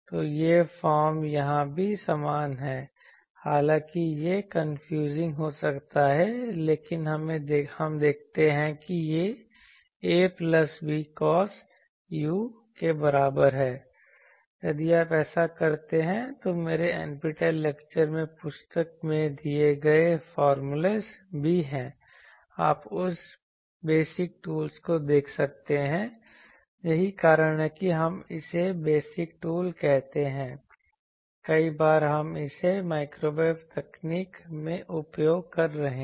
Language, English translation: Hindi, So, this is the form is similar here, though this u may be confusing, but let us see a plus b cos u is equal to if you do this, there are formulas given in the book also in my NPTEL lecture, you can see that basic tools that is why we call it basic tools many times we are using it in microwave technology